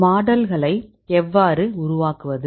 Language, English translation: Tamil, So how to build a model